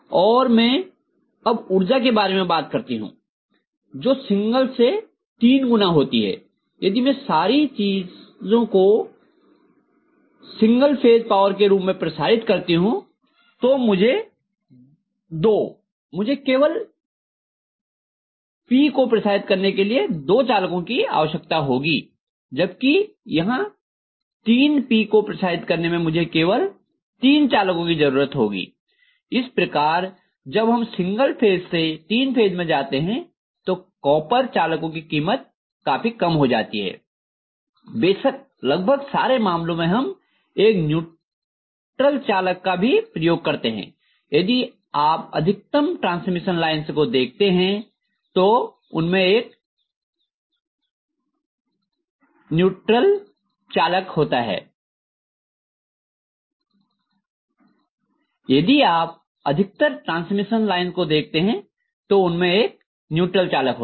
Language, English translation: Hindi, And I will be able to disseminate power which is three times single phase power where as if I am disseminating the whole thing in the form of single phase power I am essentially going to require two conductor for disseminating just P whereas here I am disseminating 3 P for which I require only 3 conductor, so the cost what is involved in copper conductors that comes down drastically when you go from single phase to three phase, of course in most of the cases we will be having a neutral conductor also, if you look at most of the transmission lines we will be having a neutral conductor